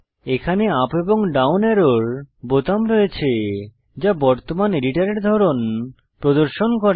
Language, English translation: Bengali, Here is a button with up and down arrow, displaying the current editor type